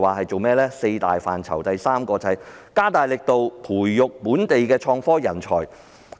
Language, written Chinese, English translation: Cantonese, 在四大範疇中，第三個是加大力度培育本地創科人才。, The third of the four major areas is the stepping up of efforts in nurturing local innovation and technology talents